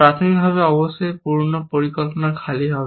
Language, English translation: Bengali, Initially, of course, old plan will be empty